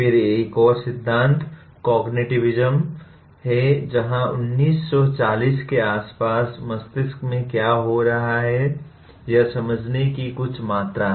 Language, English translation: Hindi, Then another theory is “cognitivism”, where around 1940s there is a some amount of understanding what is happening in the brain